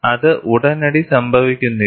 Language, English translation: Malayalam, It does not happen immediately